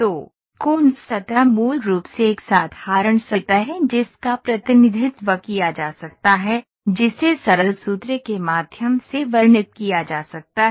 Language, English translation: Hindi, So, Coons surface is basically a simple surface which can be represented, which can be described by means of, by means of simple formula